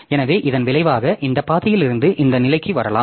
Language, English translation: Tamil, So, as a result you can come to this position either from this path or from this path